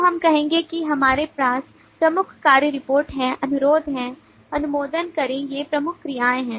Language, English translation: Hindi, so we will say that we have key actions report, request, approve these are the key actions